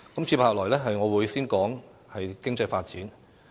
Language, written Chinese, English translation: Cantonese, 接下來，我會先談談經濟發展。, Next I will talk about economic development first